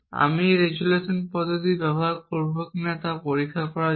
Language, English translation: Bengali, I will use the resolution method to check whether that is the case